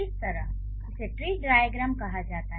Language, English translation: Hindi, So, this is how this is called tree diagram